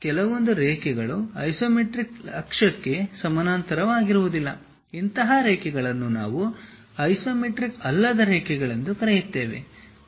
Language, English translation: Kannada, Any line that does not run parallel to isometric axis is called non isometric line